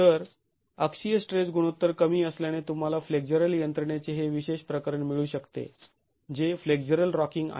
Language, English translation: Marathi, So, the axial stress ratio being low, you can get this special case of flexual mechanism which is flexible rocking